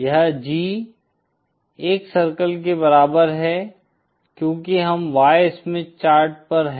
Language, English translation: Hindi, This is G equal to 1 circle since we are on the Y Smith chart